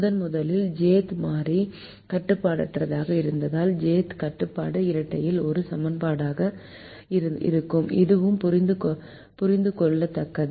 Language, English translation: Tamil, if the j'th variable is unrestricted in the primal, the j'th constraint will be an equation in the dual